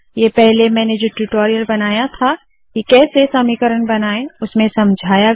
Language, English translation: Hindi, These are explained on the spoken tutorial that I have created earlier on creating equations